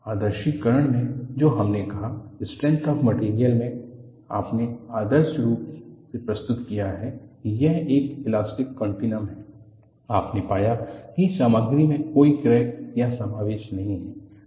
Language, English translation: Hindi, In the idealization what we said, in strength of materials you have idealize that, it is an elastic continuum, you found that there are no discontinuities or inclusions in the material